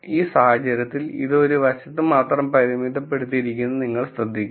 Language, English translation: Malayalam, In this case you will notice that it is bounded only on one side